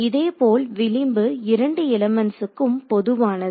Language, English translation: Tamil, Similarly in this the edge is common to both elements